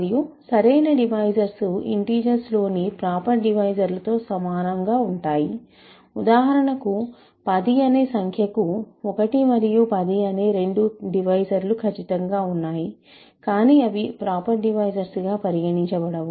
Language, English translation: Telugu, And, a proper divisor is analogous to proper divisor is a, proper divisors in the integers, where for example, number 10 has divisors 1 and 10 certainly, but they are not considered proper divisors